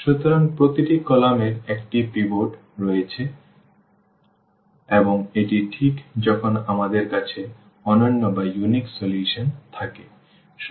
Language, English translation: Bengali, So, every column has a pivot and this is exactly the case when we have the unique solution